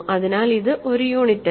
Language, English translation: Malayalam, So, it is not a unit